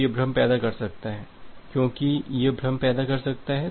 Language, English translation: Hindi, So, that may create a confusion, because that may create a confusion